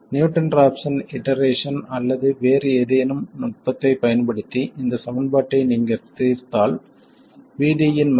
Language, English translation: Tamil, And if you solve this equation using Newton rafs and iteration or any other technique you will find that VD is